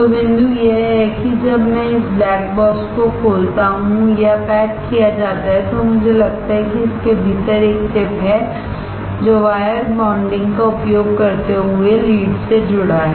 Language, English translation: Hindi, So, the point is, when I open this black box or the packaged, I find there is a chip within it, which is connected to the leads using the wire bonding